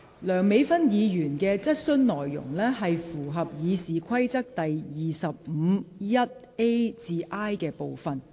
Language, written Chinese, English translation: Cantonese, 梁美芬議員的質詢內容，符合《議事規則》第25條1款 a 至 i 段的規定。, The content of Dr Priscilla LEUNGs question is in line with the provisions of Rule 251a to i of the Rules of Procedure